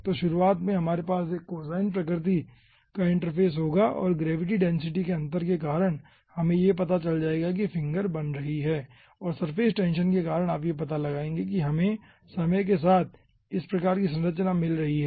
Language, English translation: Hindi, so at the beginning we will be having a cosine nature of the ah interface and, due to the gravity and density difference, will be finding out the finger is forming and due to surface tension, you will be finding out this type of structure we are getting as time progresses